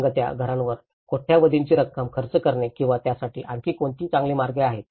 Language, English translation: Marathi, Spending billions of amount of, spending on floating houses or is there any better ways to do it